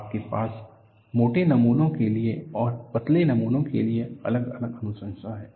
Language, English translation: Hindi, You have recommendation separately for thick specimens and for thin specimens